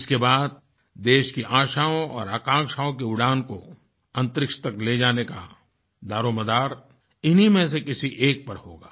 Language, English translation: Hindi, After that, the responsibility of carrying the hopes and aspirations of the nation and soaring into space, will rest on the shoulders of one of them